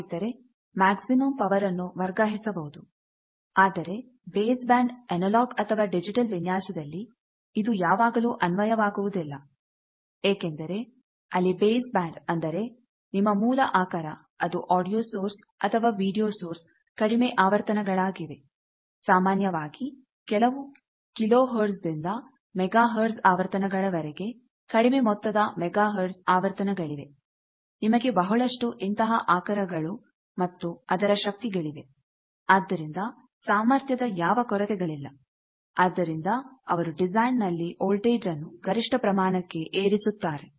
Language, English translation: Kannada, So, that maximum power can be transferred, but unfortunately or fortunately, in analogue or digital base band design this is not always applied because there are in base band that means, where your basic source either it is a audio source or a video source those things which are at lower frequencies, typically some kilohertz or megahertz frequencies small amount of megahertz frequencies are there, then you have plenty of those source and their energy